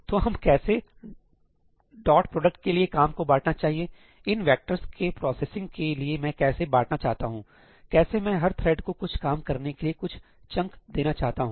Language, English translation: Hindi, Yeah, so, how do we want to divide the work for a dot product; how do I want to divide the processing of these vectors; how do I want to give some chunk to each thread to work on